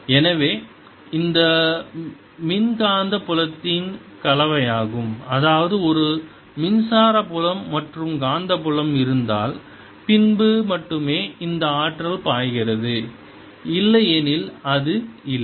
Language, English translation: Tamil, that means if there's an electric field as well as a magnetic field, then only this energy flows, otherwise it's not there